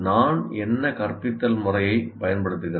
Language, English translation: Tamil, What instructional method do I use